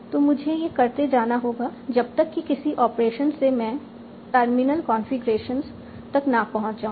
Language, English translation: Hindi, And I should be able to keep on doing this operations until at some point of time I arrived as a terminal configuration